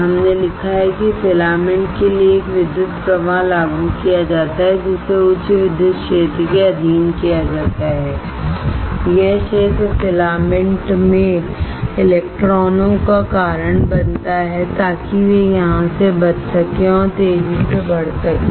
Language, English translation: Hindi, We have written that an electric current is applied to the filament which is subjected to high electric field, this field causes electrons in the filament to escape here and accelerate away